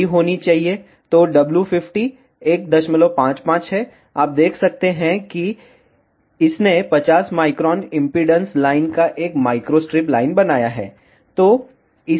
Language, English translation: Hindi, 55, you can see this has created one microstrip of 50 ohm impedance line